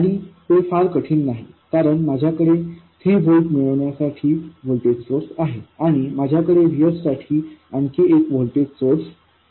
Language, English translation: Marathi, And that doesn't appear to be very difficult because I have a voltage source to get 3 volts and I have another voltage source for VS